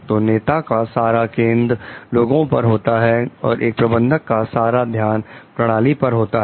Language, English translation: Hindi, So, leaders the focus is mainly on people and for the managers, it is on the system